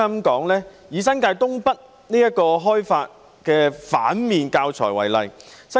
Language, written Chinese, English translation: Cantonese, 以開發新界東北這反面教材為例。, Take the negative example of the development of North East New Territories